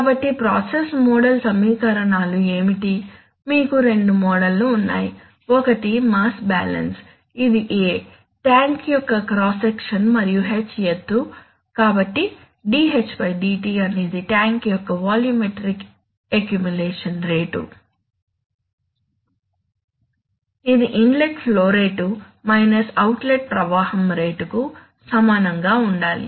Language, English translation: Telugu, So then what are the, what are the, what are the process model equations, the process model equations, you have two models one is mass balance which says that the A is the cross section of the tank and H is the height, so dH/dt is the, is the volumetric accumulation of, accumulation rate of the tank, it says that, that must be equal to the inlet flow rate minus the outlet flow rate that is simple